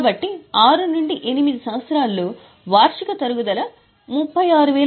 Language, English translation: Telugu, So, in year 6 to 8 the annual depreciation is only 36,000 750